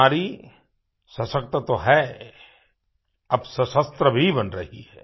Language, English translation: Hindi, Women are already empowered and now getting armed too